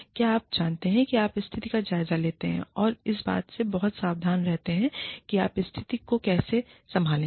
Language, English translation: Hindi, Do things, you know, take stock of the situation, and be very careful about, how you handle the situation